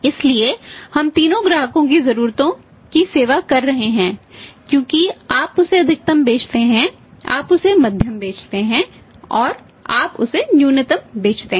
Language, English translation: Hindi, So, we are serving the needs of both all the three customers are you sell maximum to him, you sell moderate to him, you sell minimum